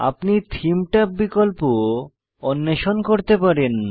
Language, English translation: Bengali, You can explore the Theme tab options on your own